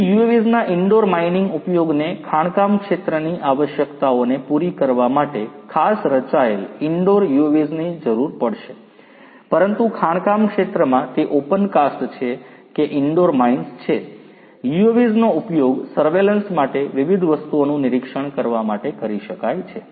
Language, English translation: Gujarati, So, indoor mining use of UAVs will require specially designed indoor UAVs for catering to the requirements of the mining sector, but in the mining sector whether it is open cast or indoor mines, the UAVs could be used to monitor you know to monitor different things for surveillance